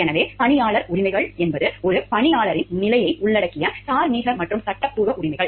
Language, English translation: Tamil, So, employee rights are any rights moral or legal that involved the status of being an employee